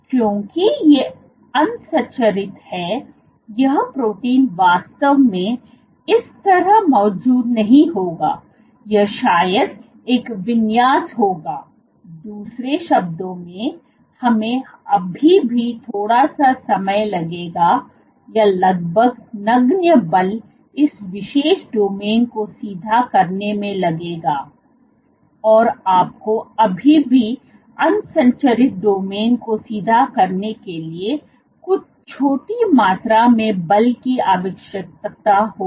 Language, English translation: Hindi, Now because it is unstructured it would not exactly be present like that the protein would not have a configuration exactly like this, but it will have a configuration probably, in other words it will still take little bit of our almost negligible force to straighten this particular domain, you would still require some small amount of force to straighten the unstructured domains